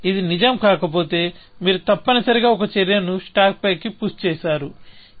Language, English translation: Telugu, If it is not true, you push an action on to the stack, essentially